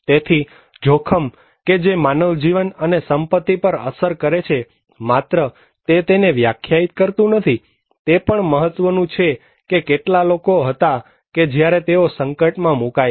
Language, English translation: Gujarati, So, hazard that may cause some kind of impact on human life and property does not only define the disaster, it also matter that how many people when they are exposed to that hazard